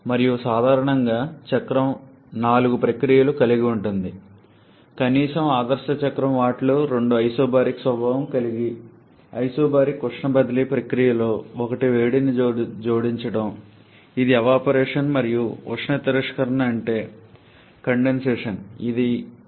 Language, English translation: Telugu, And generally, the cycle comprises of four processes, the ideal cycle at least, where two of them are isobaric in nature isobaric heat transfer processes one is heat addition that is evaporation and there is heat rejection that is condensation